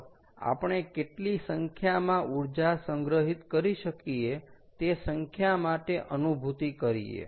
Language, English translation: Gujarati, i mean, lets get a feel for numbers as to how much is energy that we can store